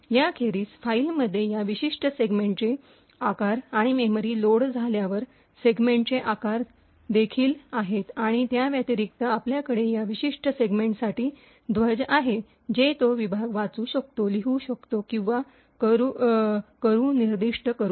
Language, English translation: Marathi, Beside this, you have the size of this particular segment in the file and also the size of the segment when it is loaded into memory and additionally you have flags for this particular segment, which specifies whether that segment can be read, written to or can be executed